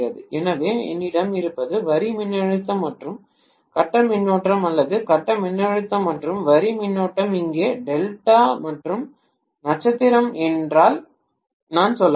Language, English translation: Tamil, So what I have is line voltage and phase current or phase voltage and line current here I can say if it is delta and star